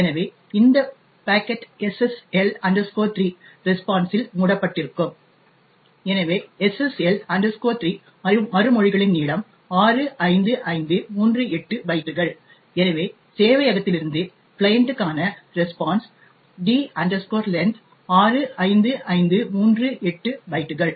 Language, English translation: Tamil, Thus, this particular packet gets wrapped in the SSL 3 response and therefore the length in the SSL 3 responses 65538 bytes, so D length in the response from the server to the client is 65538 bytes